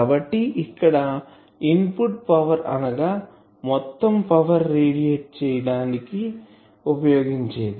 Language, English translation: Telugu, So, here input power is there it was radiation total power radiated